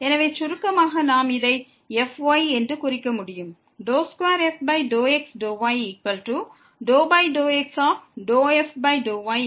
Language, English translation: Tamil, So, in short we can denote this like